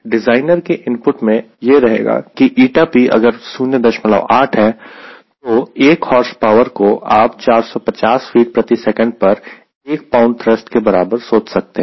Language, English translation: Hindi, again, designers input to us that if n, p is point eight, one horsepower, you can visualize equivalent to one pound of thrust at four fifty feet per second